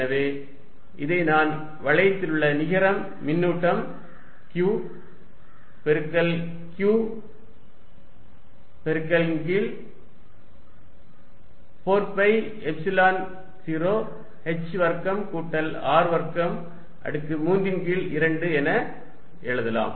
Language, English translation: Tamil, So, I can also write this as net charge on the ring times Q times h divided by 4 pi Epsilon 0 h square plus R square raise to 3 by 2